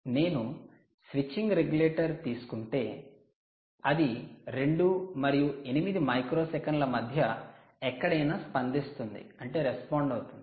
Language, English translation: Telugu, if you take a switching regulator, it responds anywhere between two and eight microseconds